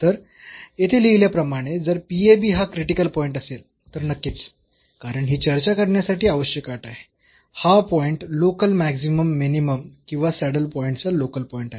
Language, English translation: Marathi, So, here as written there if ab is a critical point so definitely because this is a necessary condition to discuss that, this point is a local point of local maximum minimum or a saddle point